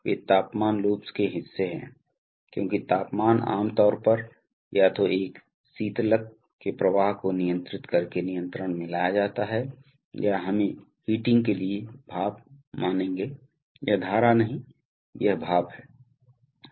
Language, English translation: Hindi, They are parts of temperature loops because temperature is generally controlled by controlling flow of either a coolant or and let us say steam for heating, this is not stream this is steam